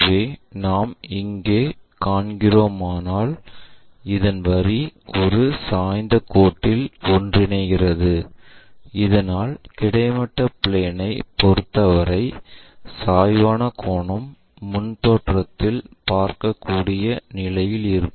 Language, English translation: Tamil, So, if we are seeing here, this line this line maps to an inclined one, so that inclination angle with respect to horizontal plane we will be in a position to see in the front view